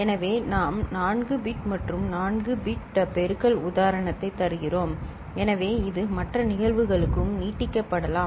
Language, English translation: Tamil, So, we are giving an example of 4 bit and 4 bit multiplication right, so it can be extended for other cases